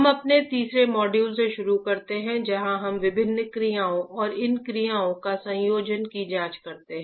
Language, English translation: Hindi, Okay, we start with our third module where we examine different actions and a combination of these actions